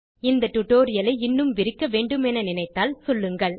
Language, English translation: Tamil, If you want me to expand this tutorial please just let me know